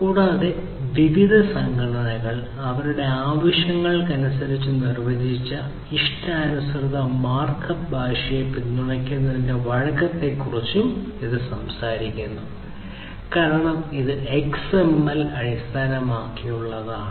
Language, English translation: Malayalam, And, it also talks about the advantage of having the advantage of flexibility which is basically supporting customized markup language defined by different organizations according to their needs, because it is based on XML